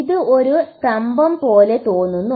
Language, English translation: Malayalam, This looks like a pillar